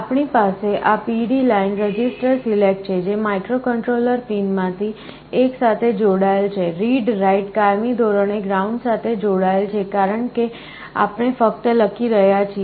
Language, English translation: Gujarati, Then, we have the registers select this yellow line, which is connected to one of the microcontroller pins, then the read/write is permanently connected to ground, because we are only writing, then here we have the enable